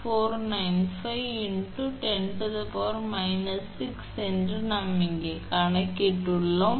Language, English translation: Tamil, 495 into 10 to the power of minus 5 that we have computed here